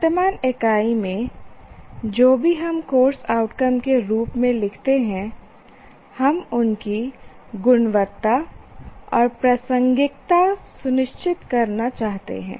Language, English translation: Hindi, Now, in the current unit, whatever we write as course outcomes, we want to ensure their quality and relevance